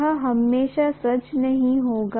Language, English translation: Hindi, This need not be always true